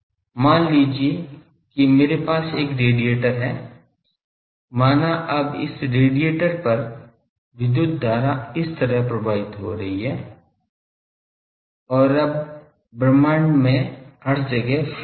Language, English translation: Hindi, Suppose I have a radiator, now this radiator suppose on this there are the electric current is like this, now and fields are there everywhere in the universe